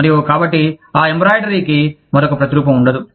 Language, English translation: Telugu, And, so that embroidery, cannot be replicated